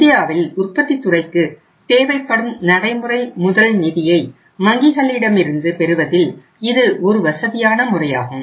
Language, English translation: Tamil, Now this is the one way and this is the most convenient mode of getting the working capital finance from the banks by the manufacturing sector in India